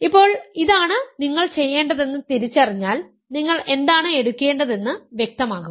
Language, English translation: Malayalam, Now, once you identify that this is what you need to do, its clear what n you need to take